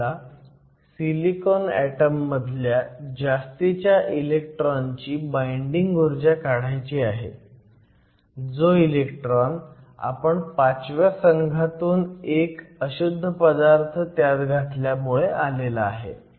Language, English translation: Marathi, So, we want to calculate the binding energy of an electron of an extra electron in the silicon atom because we added a group 5 impurity to do the binding energy calculation